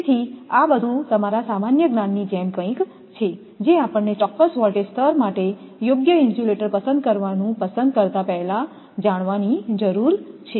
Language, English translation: Gujarati, So, all these are your like something like your general knowledge that we need all sort of things to know before making that your choice choosing the correct insulator for a particular voltage level